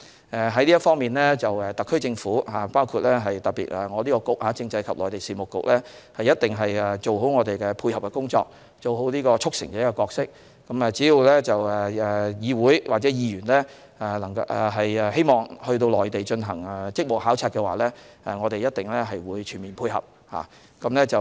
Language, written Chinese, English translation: Cantonese, 就此方面，特區政府，特別是政制及內地事務局，一定會做好我們的配合工作，做好"促成者"的角色，只要議會或議員希望到內地進行職務考察，我們一定全面配合。, In this regard the SAR Government especially the Constitutional and Mainland Affairs Bureau will certainly do our best to render our support and play the role of facilitator . As long as the Council or Members want to have duty visits to the Mainland we will surely render our support in a comprehensive manner